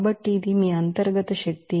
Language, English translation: Telugu, So, this is your internal energy